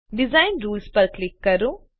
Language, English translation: Gujarati, Click on Design Rules